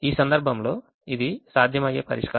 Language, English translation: Telugu, this in this case it's a feasible solution